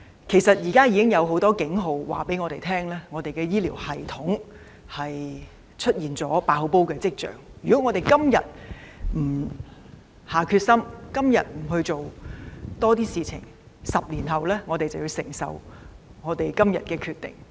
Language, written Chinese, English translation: Cantonese, 其實現時已有很多警號告訴我們，香港的醫療系統出現"爆煲"的跡象，如果政府今天不下定決心、多做工夫 ，10 年後便要承受今天所作決定的後果。, There are in fact many warning signals now to alert us of the fact that the healthcare system of Hong Kong is like a pressure cooker which is on the verge of bursting and if the Government does not act with determination and do more today it will have to bear the consequences 10 years later for the decision it makes today